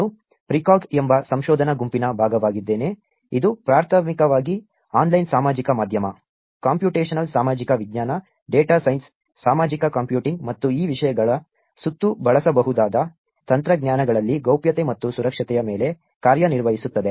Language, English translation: Kannada, I am also a part of Research Group called Precog, which primarily works on privacy and security in online social media, computational social science, data science, social computing and usable technologies which are around these topics